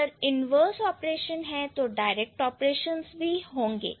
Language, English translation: Hindi, If the inverse operations are there, then the direct operations are also going to be there